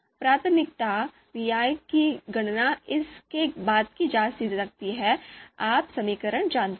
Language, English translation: Hindi, So priority pi can be computed following this you know equation